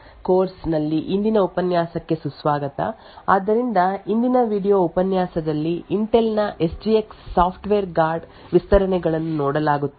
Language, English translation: Kannada, Hello and welcome to today’s lecture in the course for secure systems engineering so in today's video lecture will be looking at Intel’s SGX Software Guard Extensions